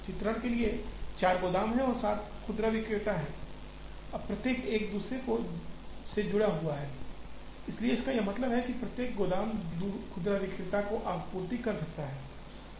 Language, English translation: Hindi, For the sake of illustration, there are 4 warehouses and there are 7 retailers, now each one is connected to every other, so it means, every warehouse can supply to every retailer